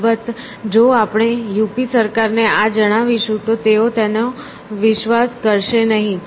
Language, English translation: Gujarati, Of course, if we tell this to the UP government they would not believe it essentially